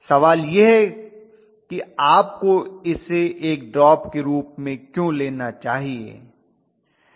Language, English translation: Hindi, The question is why should you take this as a drop